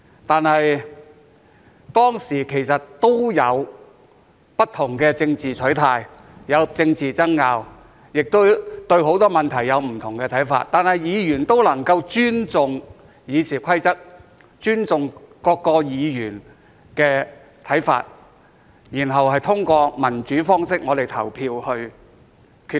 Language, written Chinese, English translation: Cantonese, 當時，議員之間其實也有不同的政治取態、有政治爭拗、對很多問題有不同的看法，但議員也能夠尊重《議事規則》、尊重其他議員的看法，然後通過民主方式表決作出決定。, At that time Members actually also had different political stances political arguments and different views on many issues but they were able to respect the Rules of Procedure and the views of other Members and then make decisions through democratic voting